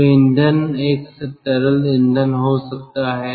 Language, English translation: Hindi, so fuel could be a liquid fuel